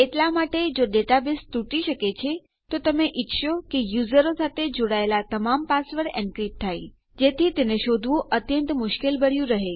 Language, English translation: Gujarati, Therefore if a data base can be broken into you will want every password belonging to your users to be encrypted, so that they are much harder to find